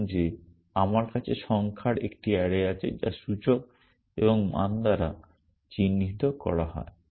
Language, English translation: Bengali, Supposing that I have a array of numbers which is signified by index and value